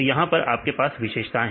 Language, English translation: Hindi, Here you have the features